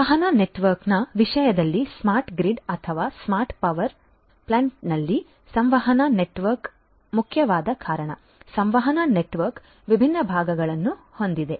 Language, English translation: Kannada, In terms of the communication network, because communication network is the core in a smart grid or a smart power plant so, the communication network has different different parts